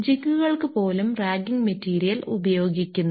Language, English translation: Malayalam, Even for the jigs where we are use ragging material